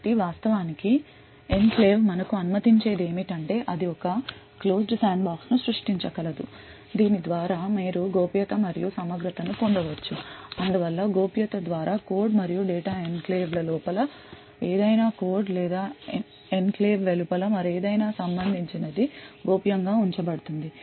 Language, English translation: Telugu, So what the enclave actually permits us to do is that it would it is able to create a closed sandbox through which you could get confidentiality and integrity so what we mean by confidentiality is that the code and data present inside the enclave is kept confidential with respect to anything or any code or anything else outside the enclave